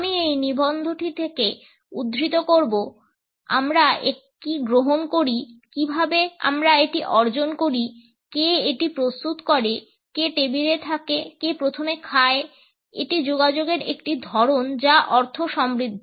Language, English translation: Bengali, I would quote from this article “what we consume, how we acquire it, who prepares it, who is at the table, who eats first is a form of communication that is rich in meaning